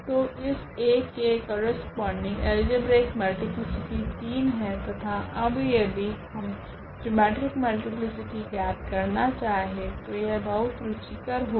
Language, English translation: Hindi, So, corresponding to this 1 so; algebraic multiplicity is 3 and if we compute the geometric multiplicity now that is interesting